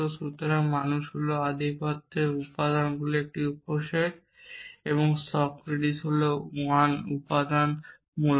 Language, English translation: Bengali, So, man is a subset of the elements of the domine and Socrates is 1 those elements essentially